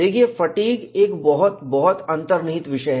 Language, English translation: Hindi, See, fatigue is a very very involved subject